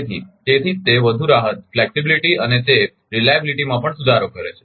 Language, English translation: Gujarati, So, right so that is why it give more flexibility and it improves the reliability also